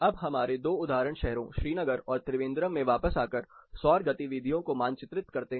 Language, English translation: Hindi, Now, coming back to our two example cities Srinagar and Trivandrum, the solar movement can be mapped like this